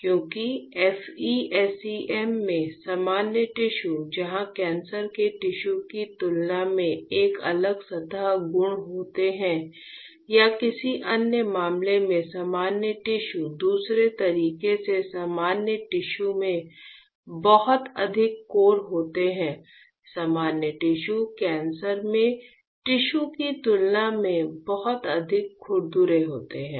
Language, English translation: Hindi, Because what we found like I said that in FE SEM; the normal tissues where having a different surface properties compared to the cancerous tissues or in another case the normal tissue another way normal tissues has much more cores are compared to cancerous tissue or sorry its opposite; the normal tissues as much more rougher compared to the cancerous tissues; this is also an correct statement